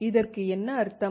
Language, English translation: Tamil, What does it mean